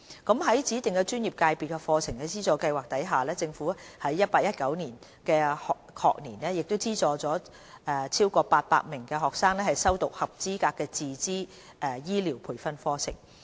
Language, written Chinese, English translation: Cantonese, 在指定專業/界別課程資助計劃下，政府在 2018-2019 學年資助逾800名學生修讀合資格的自資醫療培訓課程。, The Government also subsidizes over 800 students studying in qualified self - financing health care training programmes under the Study Subsidy Scheme for Designated ProfessionsSectors in the 2018 - 2019 academic year